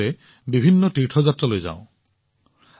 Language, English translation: Assamese, All of us go on varied pilgrimages